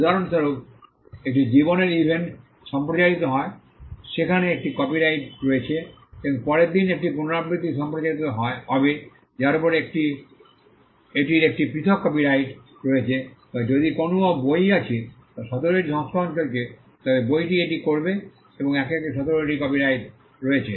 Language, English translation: Bengali, For instance a life event is broadcasted there is a copyright on it and there is a repeat broadcast the next day that has a separate copyright over it or to put it in another way if there is a book that has gone into seventeen editions the book will have seventeen copyrights over it each one different from the other